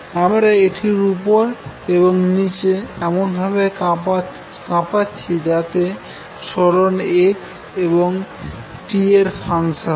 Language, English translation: Bengali, So I am shaking it up and down how does displacement look at x as a function of x and t